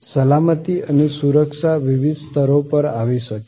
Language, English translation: Gujarati, Safety and security can come in at different levels